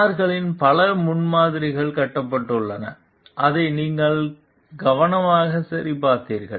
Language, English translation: Tamil, Several prototypes of the cars are built which you checked carefully